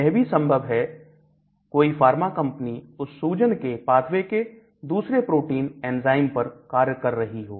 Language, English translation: Hindi, There could be pharma companies working on different targets in the same inflammatory pathway